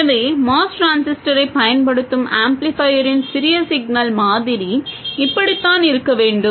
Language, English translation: Tamil, So, this is what the small signal model of the amplifier using the MOS transistor should look like